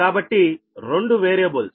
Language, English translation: Telugu, so two variables